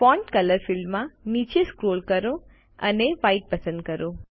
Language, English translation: Gujarati, In Font color field, scroll down and select White